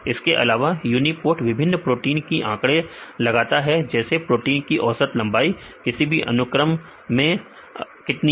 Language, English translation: Hindi, So, also uniprot provide the statistics of the different proteins what in the average length of the protein in the for the sequence avaialble in database